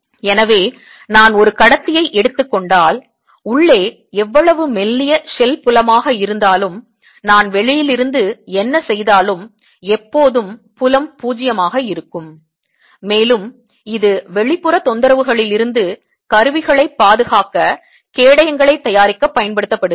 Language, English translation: Tamil, so if i take a conductor, no matter how thin the shell is, field inside will always be zero, whatever i do from outside, and this is used to make sheets to protect instruments from outside disturbance